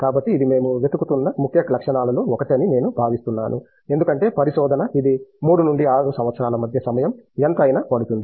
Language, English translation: Telugu, So, that is something which you have I think one of the key qualities we look for because research is, it’s not time bound it can take anything between 3 to 6 years